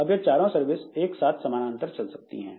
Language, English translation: Hindi, Now, these four services you see they can go in parallel